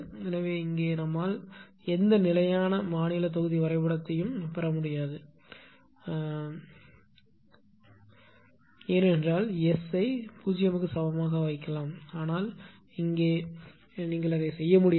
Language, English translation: Tamil, So, we here we cannot get any steady state block diagram because of this is if we can put S is equal to 0, but here you cannot do that